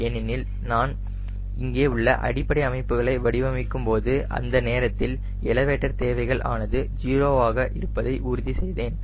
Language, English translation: Tamil, because when i am designing the basic configuration which is here this, that time i will ensure that the elevator requirement is zero, so that trim drag is zero